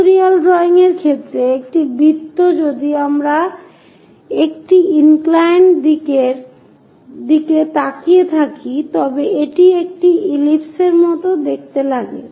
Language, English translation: Bengali, In the case of pictorial drawing, a circle if we are looking at an inclined direction it might look like an ellipse